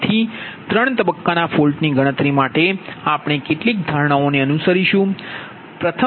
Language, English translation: Gujarati, so for three phase fault calculation, following assumptions we have to make right